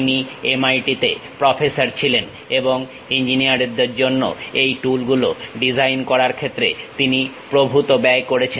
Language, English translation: Bengali, He was a professor at MIT, and he has spent lot of time in terms of constructing these design tools for engineers